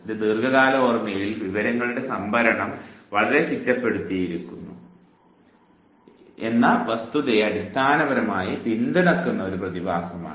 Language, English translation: Malayalam, This basically is a phenomenon which supports the fact that the storage of information in the long term memory is very, very organized